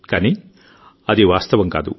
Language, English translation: Telugu, But it is not so